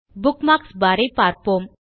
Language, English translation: Tamil, Now lets look at the Bookmarks bar